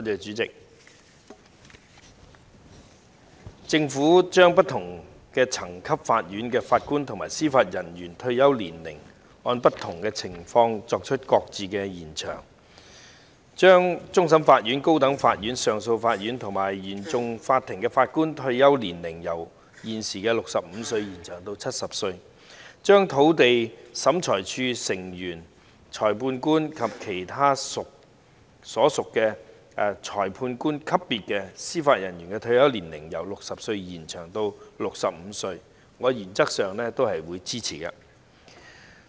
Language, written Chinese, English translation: Cantonese, 主席，政府將不同層級法院的法官及司法人員的退休年齡，按不同的情況予以延長，將終審法院、高等法院上訴法庭和原訟法庭的法官退休年齡由現時的65歲延長至70歲；並將土地審裁處成員、裁判官及其他屬裁判官級別的司法人員的退休年齡由60歲延長至65歲，我原則上是支持的。, President the Government has extended the retirement age for Judges and Judicial Officers JJOs of different levels of court where appropriate . The retirement age for Judges of the Court of Final Appeal CFA the Court of Appeal and the Court of First Instance CFI of the High Court will be extended from the current 65 to 70 and the retirement ages for Members of the Lands Tribunal Magistrates and other Judicial Officers at the magistrate level will be extended from 60 to 65 . I support the extension in principle